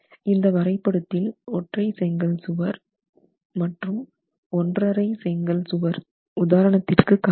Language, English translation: Tamil, You have one brick wall, one and a half brick wall examples that are provided